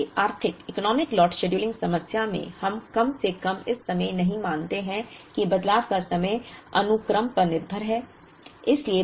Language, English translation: Hindi, So, in the Economic Lot scheduling problem we do not assume at least at the moment that the changeover times are sequence dependent